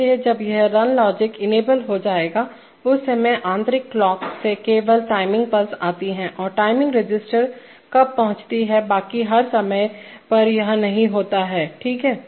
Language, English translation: Hindi, So when this run logic will be enabled, at that time only the timing pulses come from the internal clock to the timing register and other times it is inhibited, okay